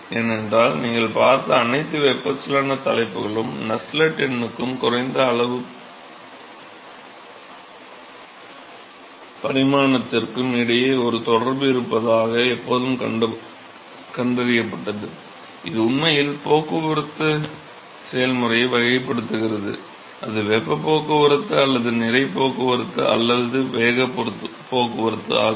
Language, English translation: Tamil, Because all the convection topic that you have seen were always found that there is a relationship between the Nusselt number and the dimension less quantities, which is actually characterizing the transport process, whether it is heat transport or mass transport or momentum transport right